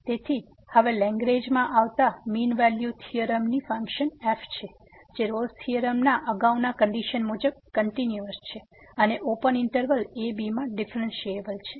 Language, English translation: Gujarati, So, now coming to the Lagrange mean value theorem we have the function which is continuous similar to the previous conditions of the Rolle’s theorem and differentiable in the open interval